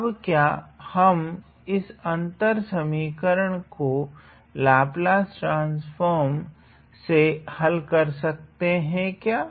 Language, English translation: Hindi, Now, can we solve this differences equation using Laplace transform